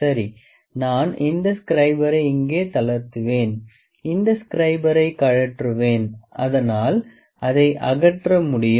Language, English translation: Tamil, Ok, I will loosen the scriber here I will take off the scriber so it can be removed